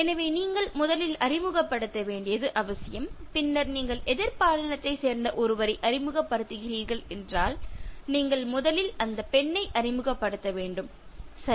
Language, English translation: Tamil, So, it is important you should introduce first and in case you are introducing somebody of the opposite sex then, you have to introduce the lady first, okay